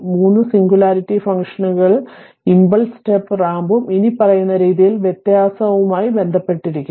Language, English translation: Malayalam, Note that 3 singularity functions impulse step and ramp are related to differentiation as follows